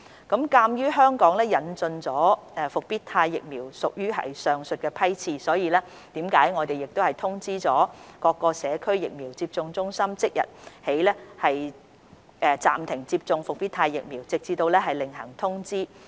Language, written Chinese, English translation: Cantonese, 鑒於香港引進的復必泰疫苗屬於上述批次，我們已通知各社區疫苗接種中心即日起暫停接種復必泰疫苗，直至另行通知。, As the Comirnaty vaccine procured by Hong Kong belongs to the above batches we have informed all Community Vaccination Centres CVCs that the administration of the Comirnaty vaccine must be suspended with immediate effect today until further notice